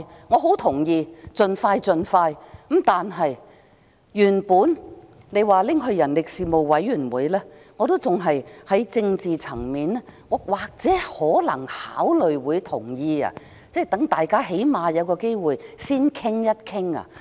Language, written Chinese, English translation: Cantonese, 我同意要盡快處理，原本提到交付人力事務委員會審議的建議，我尚且也或會在政治層面考慮同意，讓大家最低限度有機會先作討論。, I agree that we should start our work on the legislative exercise as soon as possible and with regard to the proposal of committing the Bill to the Panel on Manpower I was originally willing to consider supporting the idea from a political perspective so that Members might at least be given a chance to discuss the relevant arrangements in advance